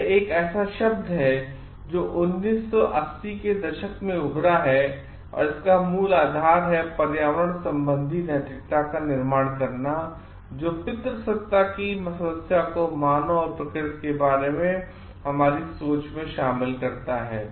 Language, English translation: Hindi, It is a term which is emerged in 1980 s, it is basic premise relates to constructing environmental ethic incorporating the problem of patriarchy into our thinking about human and nature